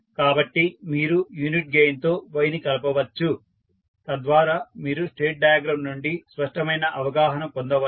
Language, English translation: Telugu, So, you can add y with unit gain so that you can have the clear understanding from the state diagram